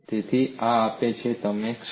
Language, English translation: Gujarati, So this gives you the moment